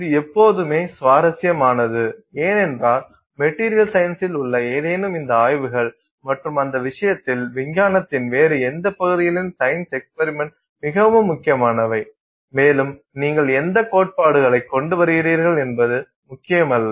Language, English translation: Tamil, This is always interesting because in any of these, you know, studies in material science and for that matter in any other arena of science, experiments are very critical and it doesn't matter what theory you come up with